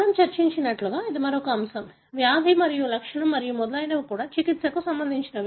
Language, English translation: Telugu, Another aspect as we discussed, disease and trait and so on, is also something related to treatment